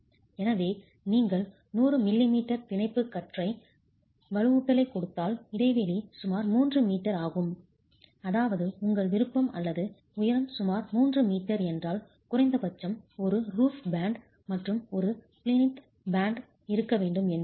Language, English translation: Tamil, So, if you give 100 millimeter bond beam reinforcement, then the spacing is about 3 meters, which means you must at least have a, if your interstory height is about 3 meters, you must at least have a roof band and a plinth band